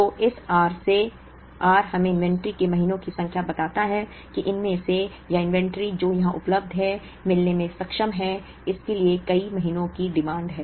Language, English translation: Hindi, So, from this r, r tells us the number of months of inventory that we of these or the inventory that is available here is capable of meeting, so many months demand